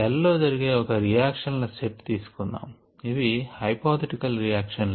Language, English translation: Telugu, and let us consider these set of reactions that are occurring in the cell: ah, hypothetical set of reactions